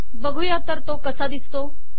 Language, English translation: Marathi, Let us see what this looks like